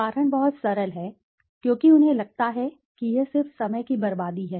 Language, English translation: Hindi, The reason is very simple because they feel this is just a waste of time